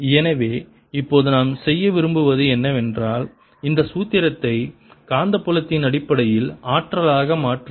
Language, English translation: Tamil, so now what we want to do is convert this formula into energy in terms of magnetic field